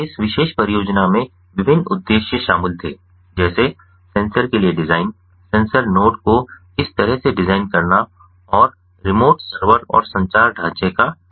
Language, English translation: Hindi, so this particular project involved different objectives, such as the design for the sensors, designing the sensor node as such, and the design of the remote server and the communication framework